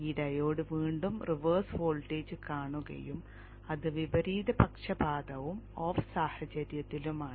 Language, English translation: Malayalam, Again this diode sees a reverse voltage and it is reversed biased and in the off situation